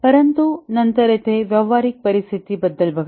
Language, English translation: Marathi, But then look at here about the practical situation here